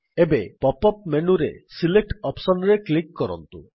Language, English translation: Odia, Now click on the Select option in the pop up menu